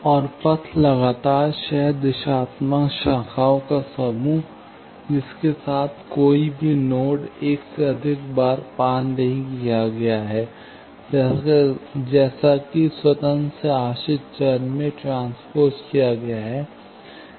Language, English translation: Hindi, And, path, set of consecutive co directional branches, along which no node is traversed more than once, as moved from independent to dependent variable